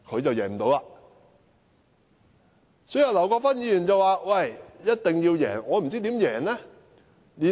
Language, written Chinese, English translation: Cantonese, 對於劉國勳議員說一定要贏，我真的不知道他有何方法。, While Mr LAU Kwok - fan said it is necessary to win I really do not know how he can do so